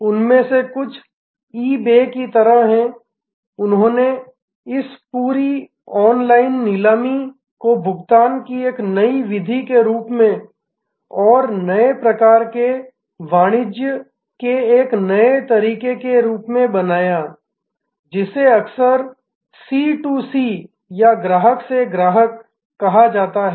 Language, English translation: Hindi, Some of them are like eBay, they created this entire online auction as a new method of payment and as a new method of a new type of commerce, which is often called C to C Customer to Customer